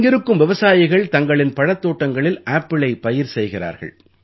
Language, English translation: Tamil, Farmers here are growing apples in their orchards